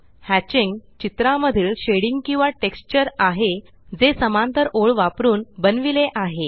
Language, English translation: Marathi, Hatching is a shading or texture in drawing that is created using fine parallel lines